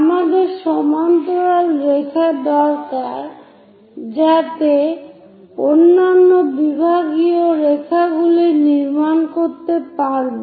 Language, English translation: Bengali, So, we need parallel lines so that other divisional lines, we will be in a position to construct it, draw parallel